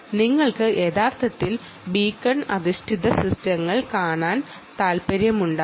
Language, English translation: Malayalam, you may want to actually look at beacon based systems